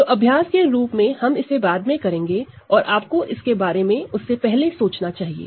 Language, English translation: Hindi, So, as an exercise later we will do this, and you should think about this before that